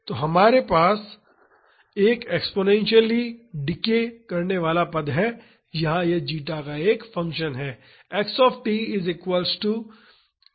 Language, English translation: Hindi, So, we have an exponentially decaying term here it is a function of zeta